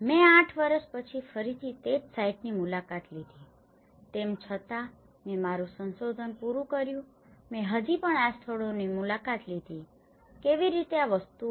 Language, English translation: Gujarati, I visited the same site again after eight years though, I finished my research I still visited these places how these things